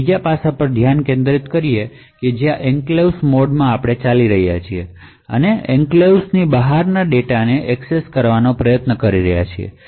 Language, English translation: Gujarati, We will also look at third aspect where you are running in the enclave mode and trying to access data which is outside the enclave